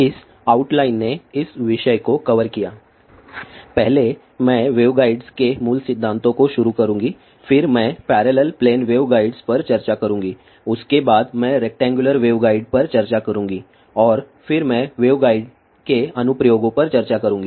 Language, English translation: Hindi, The outline took cover this topic of will be first I will start fundamentals of waveguides, then I will discuss parallel plane waveguide, after that I will discuss rectangular waveguide and then I will discuss the applications of waveguides